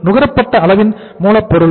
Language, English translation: Tamil, How much is the material consumed